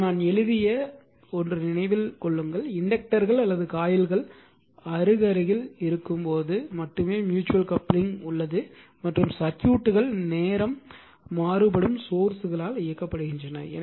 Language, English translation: Tamil, Now, now something I have written keep in mind that mutual coupling only exists when the inductors or coils are in close proximity and the circuits are driven by time varying sources